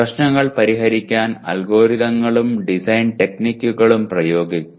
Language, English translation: Malayalam, Apply the algorithms and design techniques to solve problems